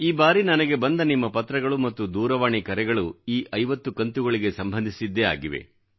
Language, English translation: Kannada, Your letters and phone calls this time pertain mostly to these 50 episodes